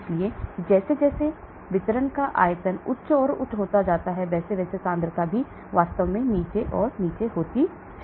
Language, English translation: Hindi, So as the volume of distribution becomes higher and higher, concentration also keeps going down and down actually